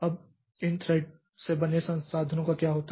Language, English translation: Hindi, Now what happens to the resources held by this thread